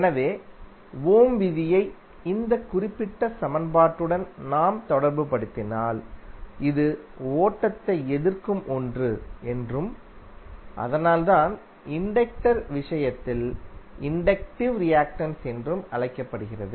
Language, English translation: Tamil, So if you correlate that Ohm's law with this particular equation, you can easily say that this is something which resist the flow and that is why it is called inductive reactance in case of inductor